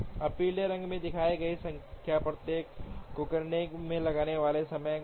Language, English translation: Hindi, Now the number shown in yellow are the time taken to do each of these tasks